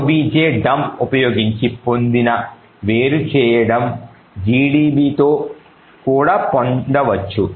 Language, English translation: Telugu, using objdump can be also obtained with gdb